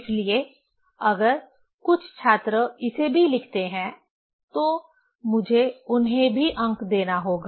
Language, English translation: Hindi, So, if some student write this one also, I have to give marks to him also